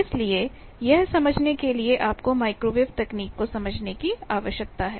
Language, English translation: Hindi, So, there also you need to understand microwave technology that in such cases, what to do